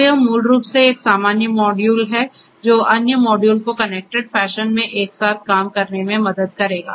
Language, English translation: Hindi, So, it is basically a common is basically a module that will help other modules to work together in a connected fashion